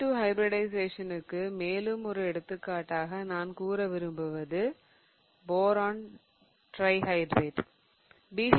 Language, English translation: Tamil, Another example that I want to go over for SP2 hybridization is that of BH3